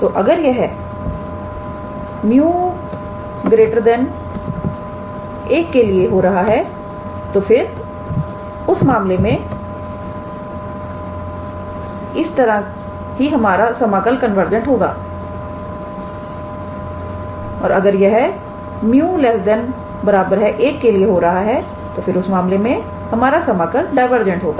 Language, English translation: Hindi, So, if it is happening for mu greater than 1, then only the integral is convergent like in this case and if it is happening for mu less or equal to 1 then in that case the integral is divergent